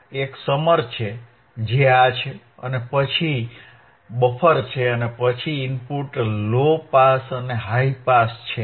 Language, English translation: Gujarati, 1 is summer which is this one, and then there is a buffer and then input is low pass and high pass